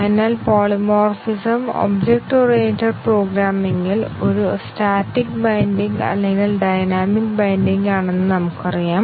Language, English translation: Malayalam, So, we know that polymorphism is present in object oriented programming either a static binding or is a dynamic binding